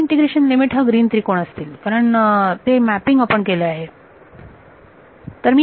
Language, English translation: Marathi, The new integration limits will be this green triangle, because we have done that mapping